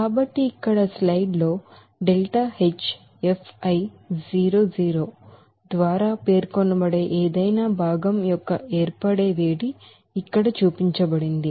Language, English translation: Telugu, So here in this slide it is shown that here that heat of formation of any constituent which will be denoted by that delta H f i 0 hat